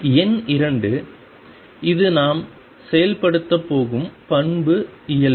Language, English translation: Tamil, Number 2 this is the property we are going to enforce is normality